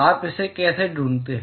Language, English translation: Hindi, How do you find that